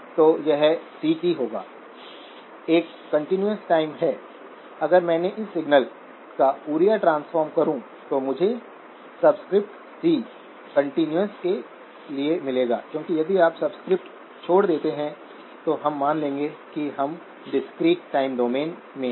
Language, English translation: Hindi, So this would be CT, a continuous in time, if I took the Fourier transform of this signal, I would get the subscript c stands for continuous because if you drop the subscript, we will assume that we are in the discrete time domain